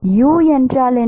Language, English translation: Tamil, What about u